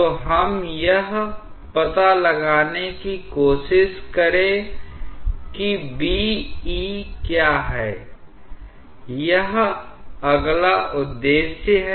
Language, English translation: Hindi, So, let us try to figure out what is B prime, E prime, that is the next objective